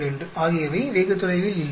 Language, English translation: Tamil, 42 are not very far